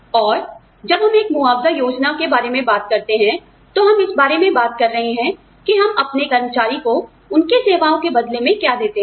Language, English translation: Hindi, And, when we talk about a compensation plan, we are talking about, what we give to our employees, in return for their services